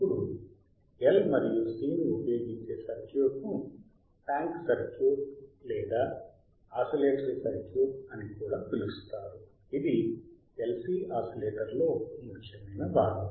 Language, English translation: Telugu, Now the circuit uses or using L and C is also called tank circuit right this also called tank circuit or oscillatory circuity circuit tank circuit or oscillatory circuit